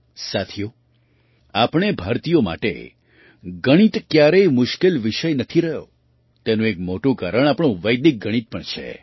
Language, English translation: Gujarati, Friends, Mathematics has never been a difficult subject for us Indians, a big reason for this is our Vedic Mathematics